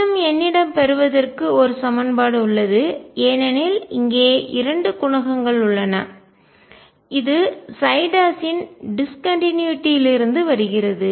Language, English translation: Tamil, I still have one more equation to derive because there are two coefficients and that comes from the discontinuity of psi prime